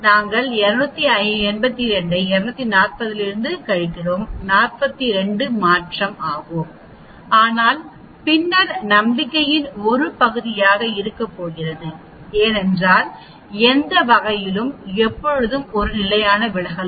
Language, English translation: Tamil, Although we say 282 minus 240 the change is 42, but then there is always be going to be a region of confidence because in any mean will always have a standard deviation